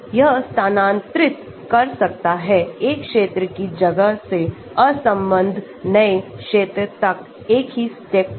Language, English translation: Hindi, It can move from 1 region of the space to completely unconnected new region in a single step